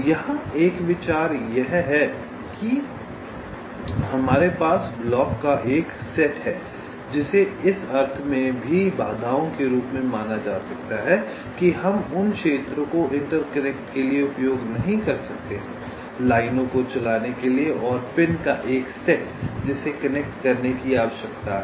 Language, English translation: Hindi, here the the idea is that we have a set of blocks ok, which can also be regarded, ah, as obstacles, in the sense that we cannot use those areas for interconnections, for running the lines, and a set of pins which needs to be connected